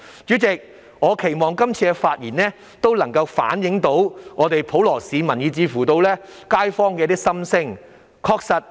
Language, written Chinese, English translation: Cantonese, 主席，我期望這次發言能夠反映普羅市民以至街坊的心聲。, President I hope this speech will reflect the thoughts of the general public and kaifongs